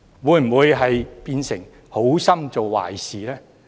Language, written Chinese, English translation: Cantonese, 會否變成好心做壞事呢？, Would it become a disservice done out of good intentions?